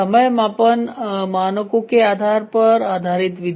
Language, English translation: Hindi, The method based on method time measurement standards